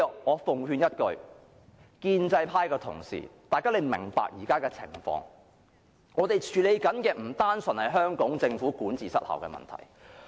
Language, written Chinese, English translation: Cantonese, 我奉勸一句，建制派同事要明白現時的情況，我們正在處理的不單純是香港政府管治失效的問題。, Why should Dr SO harbour such a person? . I advise pro - establishment Members to understand the present circumstances . What we are now dealing with is not simply a problem of ineffective governance on the part of the Hong Kong Government